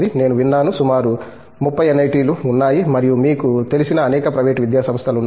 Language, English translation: Telugu, I heard that, there are about 30 NIT's and a number of private you know academic institutions